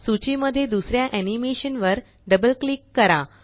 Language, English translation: Marathi, Double click on the second animation in the list